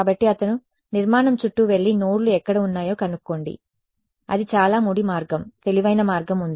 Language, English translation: Telugu, So, he is saying go around the structure and find out where the nodes are that is a very crude way is there a smarter way